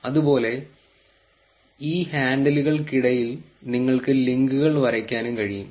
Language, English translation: Malayalam, And similarly you can also draw links between these handles